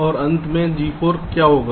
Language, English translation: Hindi, and finally g four